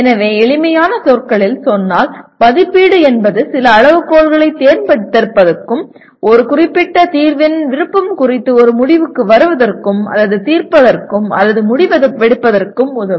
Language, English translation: Tamil, So put in simple words, evaluate is concerned with selecting certain criteria and applying these criteria to the solutions and coming to or judging or making a decision with regard to the preference of a particular solution